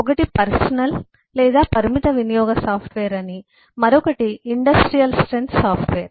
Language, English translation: Telugu, one we say are personal or limited use software, the other we say is industrial strength software